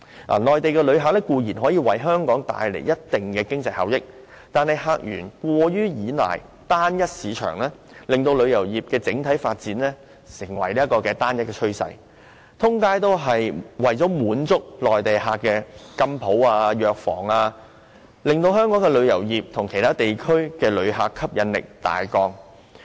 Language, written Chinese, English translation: Cantonese, 內地旅客固然可以為香港帶來一定的經濟效益，但客源過於依賴單一市場，令旅遊業的整體發展形成單一趨勢，滿街都是為滿足內地旅客而開設的金鋪和藥房，使香港對其他地區的旅客的吸引力大降。, No doubt Mainland visitors can bring considerable economic benefits to Hong Kong but an over reliance on a single market as the source of visitors has rendered the overall development of the tourism industry homogeneous . Jewellery shops and drug stores opened to satisfy Mainland visitors abound in the street thus greatly reducing Hong Kongs attractiveness to visitors from other places